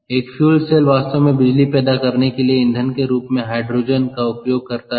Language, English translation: Hindi, so fuel cell actually uses hydrogen, as i said, as an energy source